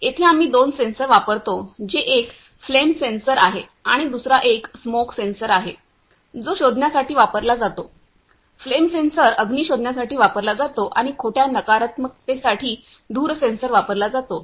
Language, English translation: Marathi, Here we use two sensor which are one is flame sensor and another is a smoke sensor which are used for detecting, flame sensors are used for detecting the fire and smoke sensor for use for false negative